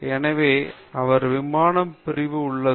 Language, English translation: Tamil, So, he is in the aircraft wing division